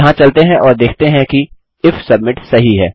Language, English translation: Hindi, Lets go here and see if if submit is ok